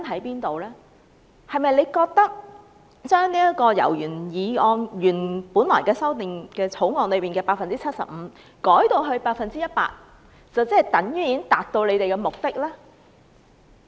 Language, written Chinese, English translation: Cantonese, 局長是否認為，把百分率由《條例草案》原來所建議的 75% 修訂為 100%， 便能達到目的呢？, Does the Secretary think that a mere amendment of the percentage from 75 % as initially proposed by the Bill to 100 % can already fulfil the objectives?